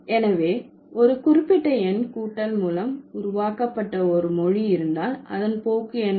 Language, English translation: Tamil, So, if there is a language where you are forming or a particular number has been formed by addition, then what is the tendency